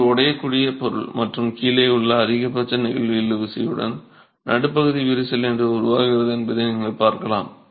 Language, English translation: Tamil, This is a brittle material and you can see how the midspan crack forms with maximum flexual tension at the bottom